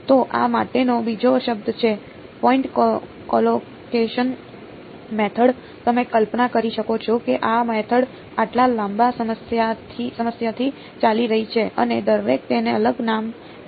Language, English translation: Gujarati, So, another word for this is called point collocation method, you can imagine this method has been around for such a long time everyone has come and given it a different name ok